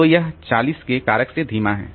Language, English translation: Hindi, So, this is a slow down by a factor of 40